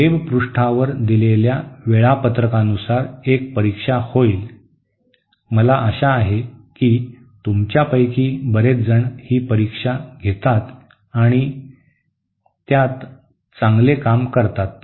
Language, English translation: Marathi, There will be an exam as per the schedule given on the web page, I hope many of you take this take that exam and do well in um